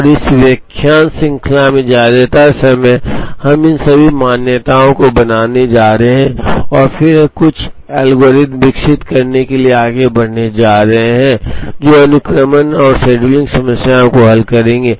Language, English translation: Hindi, And in this lecture series most of the times, we are going to make all these assumptions and then we are going to proceed to develop some algorithms, which will solve sequencing and scheduling problems